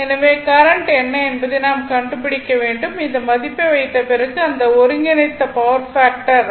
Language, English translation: Tamil, So, at the time we have to find out what is the current right and after putting this we want that combined power factor , should be 0